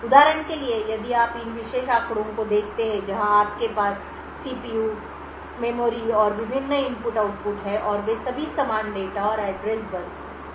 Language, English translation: Hindi, For example, if you look at these particular figures where you have the CPU, memory and the various input output and all of them share the same data and address bus